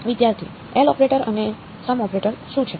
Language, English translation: Gujarati, What is the L operator and a sum operator